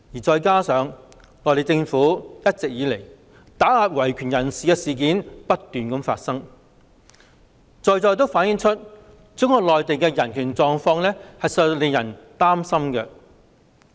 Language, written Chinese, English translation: Cantonese, 再加上內地政府打壓維權人士的事件不斷，正正反映中國內地的人權狀況令人擔心。, Furthermore the numerous incidents of relentless suppression of human rights activists have precisely reflected the worrying human rights condition in Mainland China